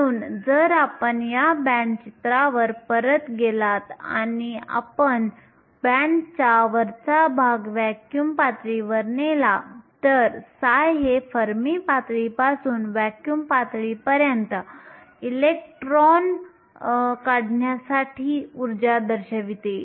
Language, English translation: Marathi, So, if you go back to this band picture and we take the top of the band to be vacuum level then psi represents the energy to remove an electron from fermi level up to the vacuum level